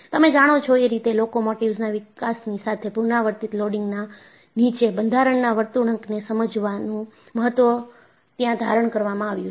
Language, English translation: Gujarati, And, you know, with the development of locomotives, the importance of understanding structural behavior, under repeated loading, assumed importance